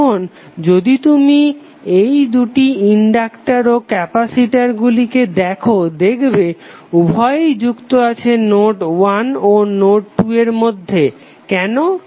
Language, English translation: Bengali, Now if you see this two inductors and resistors both are connected between node 2 and node3, why